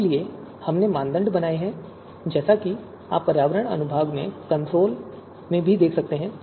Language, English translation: Hindi, So we have created criteria as you can see in the environment section also and in the console also